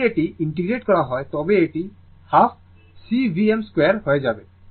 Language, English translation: Bengali, If you integrate this, it will become half C V m square